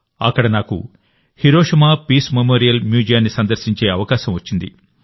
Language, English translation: Telugu, There I got an opportunity to visit the Hiroshima Peace Memorial museum